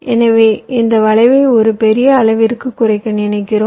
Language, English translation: Tamil, so we are expecting to reduce this cube to a great extent